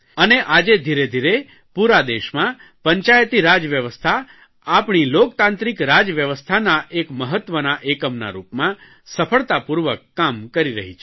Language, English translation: Gujarati, Panchayati Raj system has gradually spread to the entire country and is functioning successfully as an important unit of our democratic system of governance